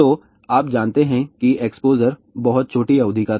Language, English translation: Hindi, So, you know that exposure was very small duration